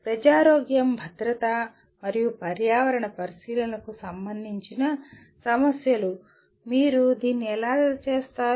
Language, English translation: Telugu, Issues related to public health, safety and environmental consideration, how do you do that